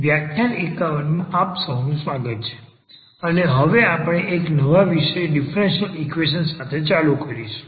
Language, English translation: Gujarati, Welcome back so this is a lecture number 51 and we will now continue with a new topic now on differential equations